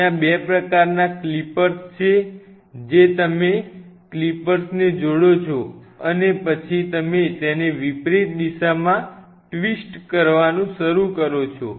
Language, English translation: Gujarati, There are 2 kinds of like clippers you attach the clippers and then what you do is start to twist it in reverse direction